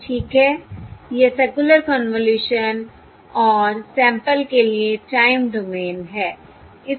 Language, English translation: Hindi, Okay, this is the circular convolution and the time domain